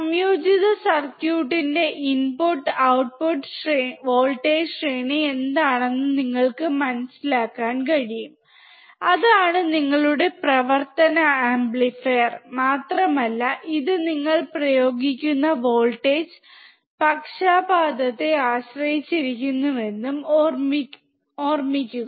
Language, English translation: Malayalam, You can understand what is the input and output voltage range of the integrated circuit, that is your operational amplifier and also remember that it depends on the bias voltage that you are applying